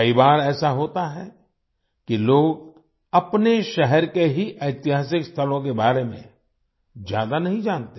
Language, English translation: Hindi, Many times it happens that people do not know much about the historical places of their own city